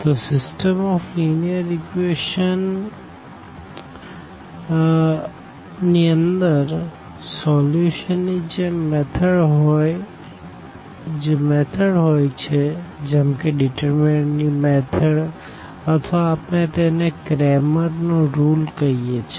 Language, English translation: Gujarati, So, the system of linear equations, the solution methods we have basically the other methods to like the method of determinants you must be familiar with or we call this Cramer’s rule